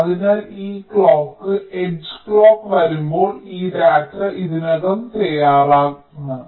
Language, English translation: Malayalam, so when this clock h comes, clock one, this data is already ready